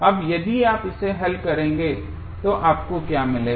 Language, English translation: Hindi, Now, if you solve it what you will get